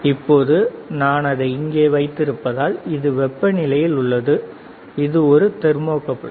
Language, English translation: Tamil, Now, if I keep it here it is in temperature, this is a thermocouple right